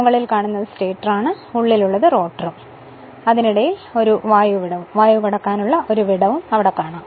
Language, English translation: Malayalam, This, this upper part is a stator and inside circle is rotor and between is that air gap is there